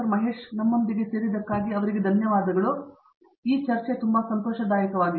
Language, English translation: Kannada, Mahesh for joining us, it was a pleasure